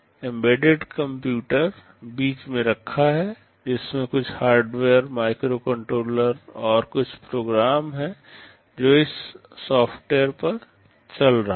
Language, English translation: Hindi, The embedded computer is sitting in the middle, which has some hardware, the microcontroller and some program which is running on its software